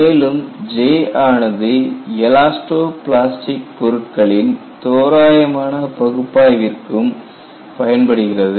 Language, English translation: Tamil, But J is also used for elasto plastic analysis, at least approximately